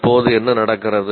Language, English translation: Tamil, And then what do you do